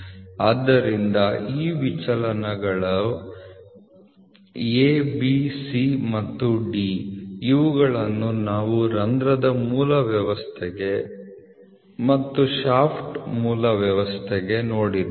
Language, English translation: Kannada, So, these deviations are the A, B, C, D which we saw for a hole base system and for a shaft base system